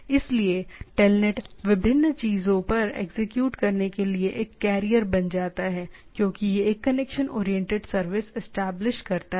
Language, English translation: Hindi, So, telnet becomes a carrier to different thing to execute on the things, because it established a connection connection oriented service